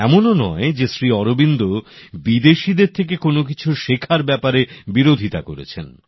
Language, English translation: Bengali, It is not that Sri Aurobindo ever opposed learning anything from abroad